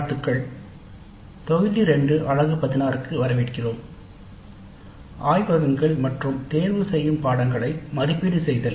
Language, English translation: Tamil, Greetings, welcome to module 2, unit 16 evaluating laboratory and electives